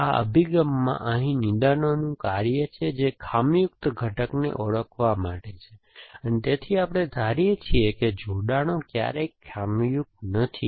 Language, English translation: Gujarati, So, this approach to diagnosis the task have diagnosis here is to identify of faulty component and, so we assume that connections are never faulty